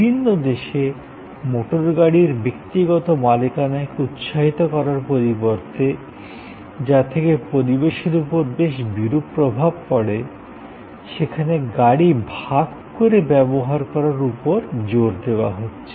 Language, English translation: Bengali, In various countries today instead of encouraging private ownership of motor vehicles, which has number of impacts, adverse impacts on the environment, there is an increasing emphasize on pooled usage, shared usage of cars